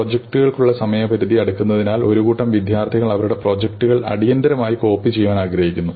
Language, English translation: Malayalam, The deadline for projects is approaching and a bunch of student want their projects copied urgently